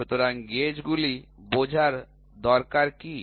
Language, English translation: Bengali, So, what is the need for understanding gauges